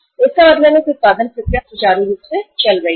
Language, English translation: Hindi, So it means the production process should be smoothly going on